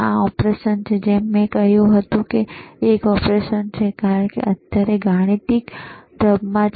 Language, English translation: Gujarati, This is the operation, like I said it is an operation, because now is the right now it is in mathematical mode